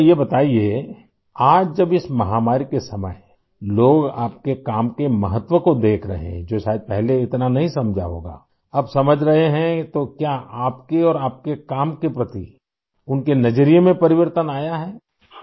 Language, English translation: Urdu, Okay, tell us…today, during these pandemic times when people are noticing the importance of your work, which perhaps they didn't realise earlier…has it led to a change in the way they view you and your work